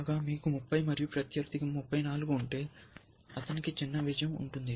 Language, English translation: Telugu, Whereas, if you have 30 and opponent has 34, then he has a smaller win